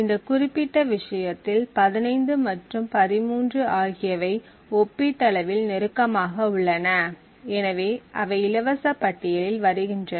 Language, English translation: Tamil, Now in this particular case 15 and 13 are relatively close, so they fall within the same free list